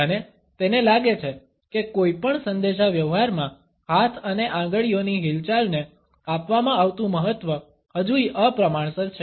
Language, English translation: Gujarati, And he feels that the significance, which is given to hand and fingers movements in any communication is rather disproportionate